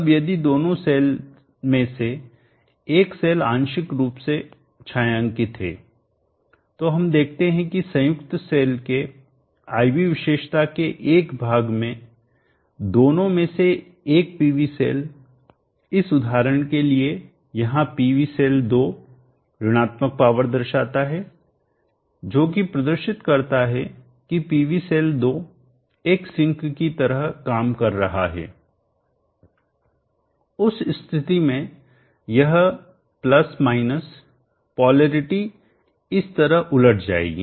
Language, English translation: Hindi, Now if one of the cell is partially shaded we see that during a portion of the IV characteristic of the combine cell one of the PV cell, PV cell 2 here for this example shows negative power indicating that the PV cell 2 is acting like a sink